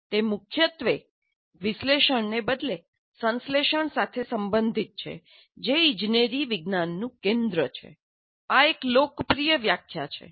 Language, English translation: Gujarati, It is primarily concerned with synthesis rather than analysis which is central to engineering science